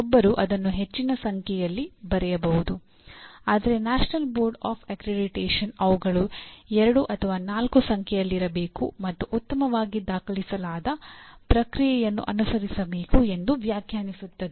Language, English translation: Kannada, One can write large number of them, but the National Board Of Accreditation specifies there should be two to four in number and need to be defined again following a well documented process